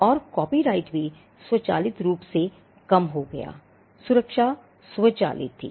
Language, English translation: Hindi, And copyright also subsisted automatically, the protection was automatic